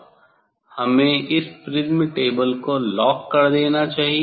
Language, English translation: Hindi, we should lock this prism table; we should lock prism table we should lock this prism table